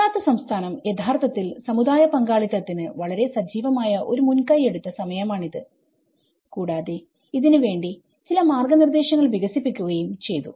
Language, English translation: Malayalam, And this is a time Gujarat state has actually taken a very active initiative of the community participation and as well as developing certain guidelines